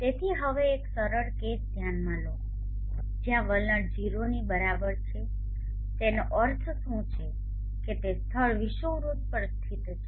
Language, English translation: Gujarati, So for now consider a simple case where the attitude is equal to 0 what does it mean that the place is located on the equator